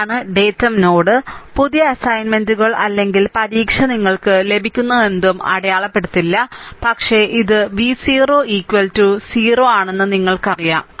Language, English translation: Malayalam, So, this is your datum node, it it will in that new assignments or exam whatever you get this thing will not be mark, but you know that it it is v 0 is equal to 0